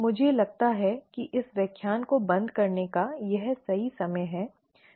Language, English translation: Hindi, I think this is right time to close this lecture